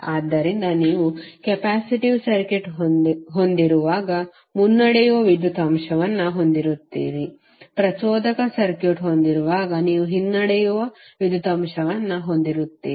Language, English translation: Kannada, So in that case when you have capacitive circuit you will have leading power factor when you have inductive circuit when you will have lagging power factor